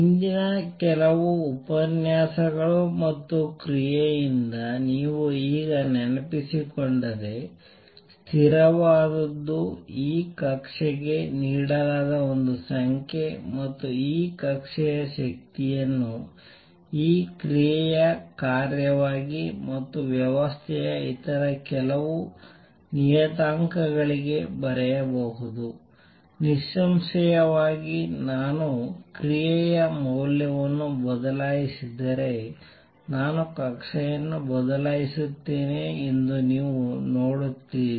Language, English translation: Kannada, If you just recall from previous few lectures and action, therefore, is a constant is a number is a number given for this orbit and E the energy for this orbit can be written as a function of this action and some other parameters of the system; obviously, you see that if I change the action value, I will change the orbit